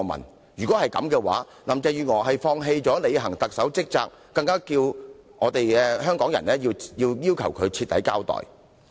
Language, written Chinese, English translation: Cantonese, 若然如此，那便代表林鄭月娥放棄履行特首的職責，這樣她更有必要向港人徹底交代。, In that case it would mean that Carrie LAM has abandoned her duties as the Chief Executive which has further reinforced the need for her to give a thorough account to the people of Hong Kong